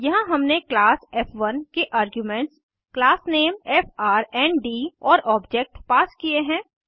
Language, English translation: Hindi, Then we pass arguments as class name and object of the class